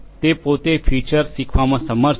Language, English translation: Gujarati, On its own, it is able to learn the features